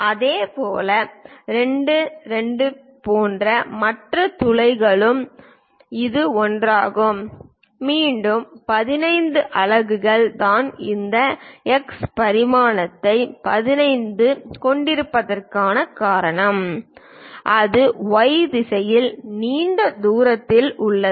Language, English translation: Tamil, Similarly, for the other holes like 2, 2 is this one; again 15 units that is the reason we have this X dimension 15 and it is at a longer distance in Y direction